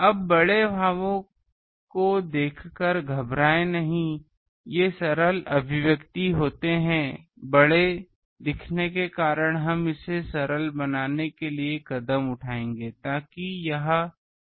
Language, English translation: Hindi, Now do not get frightened by looking at big expressions, these are simple expressions may be looking big we will just take steps to simplify that, so that that becomes manageable